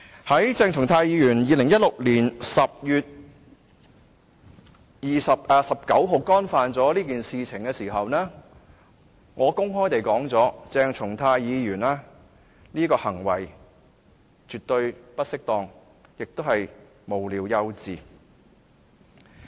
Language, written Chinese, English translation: Cantonese, 在鄭松泰議員於2016年10月19日干犯了這件事情後，我曾公開地表示，鄭松泰議員這個行為絕對不適當，而且是無聊幼稚。, I am only dealing with the issue in a manner of giving the matter its fair deal . After Dr CHENG Chung - tai had done the act on 19 October 2016 I openly stated that this conduct of Dr CHENG was not only absolutely inappropriate but also frivolous and childish